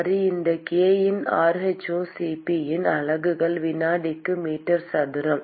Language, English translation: Tamil, Alright, so the units of this k by rho C p is meter square per second